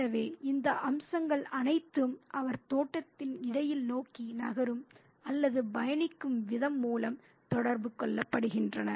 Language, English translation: Tamil, So, all these aspects are communicated through the manner in which he moves about or navigates the space of the garden